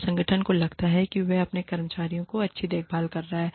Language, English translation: Hindi, And the organization feels that, it is taking good care, of its employees